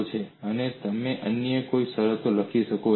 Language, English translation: Gujarati, And what other conditions that you can write